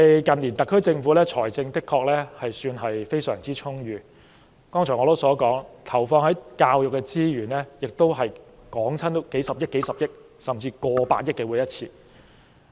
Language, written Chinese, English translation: Cantonese, 近年特區政府的財政的確算是相當充裕，正如我剛才所說，投放在教育的資源，每每達到數十億元，甚至過百億元。, The SAR Government has been financially well - off in recent years . As I just said the resources allocated for education amount to a few billion dollars and even over 10 billion dollars